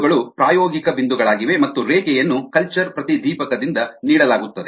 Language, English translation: Kannada, yah, the points are experimental points and the line is given by culture florescence